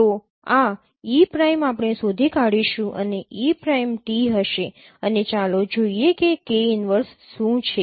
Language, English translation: Gujarati, So this e prime we will find out e prime will be t and let us see what is k inverse